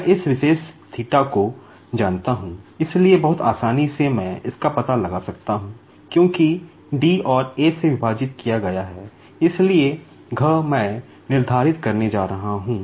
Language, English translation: Hindi, I know this particular theta, so very easily I can find out, because d divided by a; so, d, I am going to determine